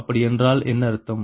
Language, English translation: Tamil, that means what